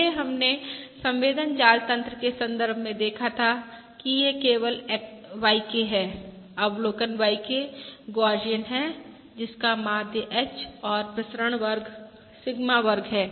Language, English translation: Hindi, Previously we had seen in the context of sensor networks that this is simply YK, the observation YK is Gaussian with mean H and variance Sigma square